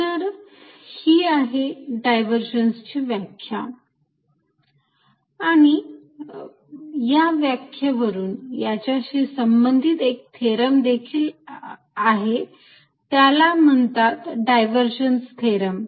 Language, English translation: Marathi, So, that is the definition of divergence with this definition of divergence there is related theorem and that is called divergence theorem